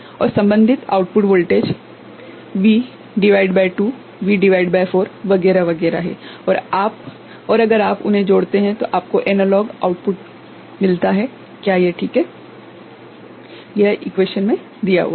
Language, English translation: Hindi, And corresponding output voltages are V by 2, V by 4 etcetera etcetera and if you have add them up you get the analog output, is it ok